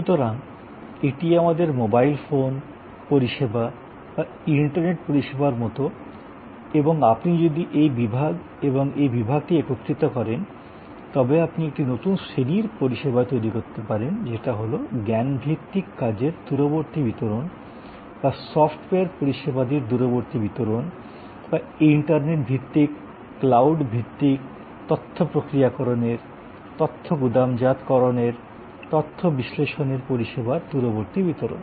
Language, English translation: Bengali, So, therefore, this is like our mobile phone service or internet service and if you combine this block and this block, you can create a new class of service which is remote delivery of a knowledge work or remote delivery of software service or remote delivery of internet based, cloud based data processing, data warehousing, data analytic services